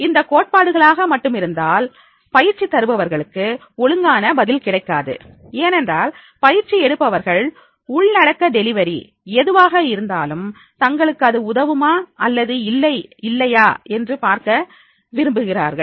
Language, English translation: Tamil, If it is a theoretical only, then the trainers will not be get the proper response because the trainees, they want to see that is whatever the contents or deliveries are there, are they are helpful or not